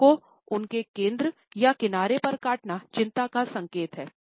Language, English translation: Hindi, Biting on the lips with their centrally or at the side indicates anxiety